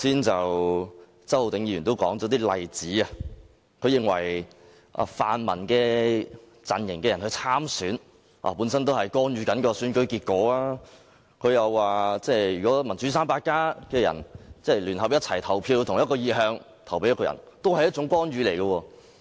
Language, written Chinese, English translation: Cantonese, 周浩鼎議員剛才提出一些例子，他認為泛民陣營人士參選是干預選舉結果；如果"民主 300+" 成員同一意向，聯合投票給某位候選人，也是一種干預。, A moment ago Mr Holden CHOW cited some examples claiming that when people from the pan - democracy camp take part in the election it is meant to interfere with the election outcome or if members of the Democrats 300 vote all in for a particular candidate it is also a kind of interference